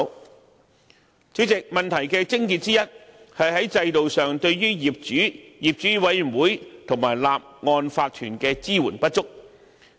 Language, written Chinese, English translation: Cantonese, 代理主席，問題的癥結之一，是在制度上對於業主、業主委員會和法團的支援不足。, Deputy President the crux of the problem is the inadequate support provided to owners owners committees and OCs system - wise